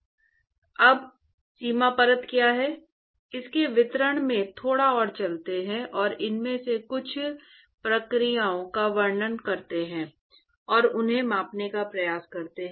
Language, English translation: Hindi, So now, let us go a little bit more into the details of what is boundary layer, and describe some of these processes and attempt to quantify them